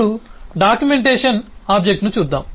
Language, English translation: Telugu, now let us look at the documentation object itself